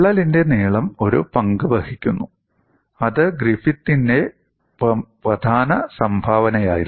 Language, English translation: Malayalam, The length of the crack also plays a role that was a key contribution by Griffith